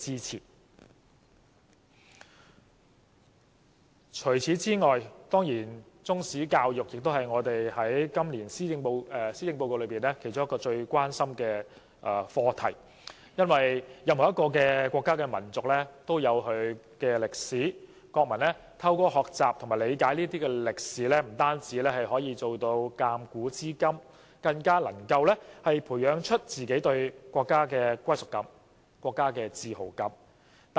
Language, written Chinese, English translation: Cantonese, 除此之外，中史教育也是今年施政報告其中一項最關心的課題，因為每個國家民族都有其歷史，國民透過學習和理解歷史，不但可以鑒古知今，更能培養對自己國家的歸屬感和自豪感。, Apart from all this Chinese History education is also among the greatest concerns of the Policy Address this year because every nation has its own history . Through learning and understanding history nationals can not only foresee the future by viewing the past but also cultivate a sense of belonging to their own country and their sense of pride . The current curriculum design is obviously inadequate